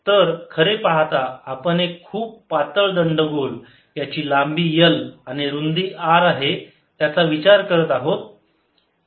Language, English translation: Marathi, so we are really considering a very thin cylinder of length, l and radius r